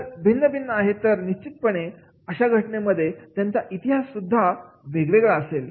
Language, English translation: Marathi, If they are different, then definitely in that case their history will be different